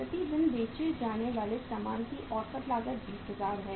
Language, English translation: Hindi, Average cost of goods sold per day is 20000